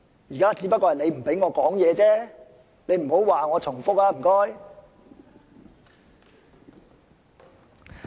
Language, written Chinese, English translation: Cantonese, 現在只是你不讓我發言，請你不要說我重複。, The present situation is merely that you do not allow me to speak . Please do not say that I have repeated myself